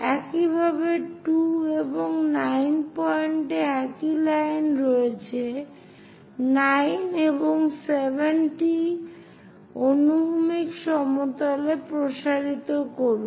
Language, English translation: Bengali, Similarly, at 2 and 9 points are on the same line, extend this 9 and 7 also in the horizontal plane